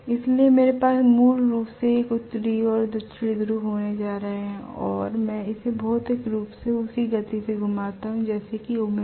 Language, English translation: Hindi, So I am going to have basically it is as though I am going to have a north pole and south pole and I rotate it physically, physically at the same speed as that of omega right